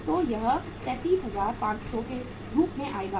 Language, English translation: Hindi, So it works out as 37500